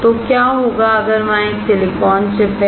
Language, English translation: Hindi, So, what if there is a silicon chip